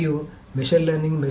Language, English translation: Telugu, And machine learning, of course, so machine learning